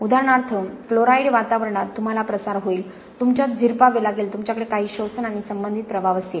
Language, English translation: Marathi, For example in a chloride environment you will have diffusion, you will have permeation, you will have some sorption and associated effects